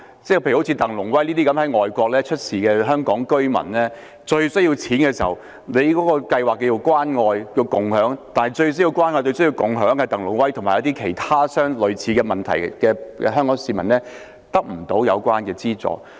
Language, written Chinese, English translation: Cantonese, 舉例說，在外地遇事的香港居民鄧龍威，當他最需要錢、最需要"關愛"和"共享"的時候，當局的關愛共享計劃卻未能為他及一些遇到類似問題的香港市民提供資助。, In the case of TANG Lung - wai a Hong Kong resident in distress outside the territory when he is in desperate need of money as well as caring and sharing the Scheme has failed to provide assistance to him and other Hong Kong people who have encountered similar problems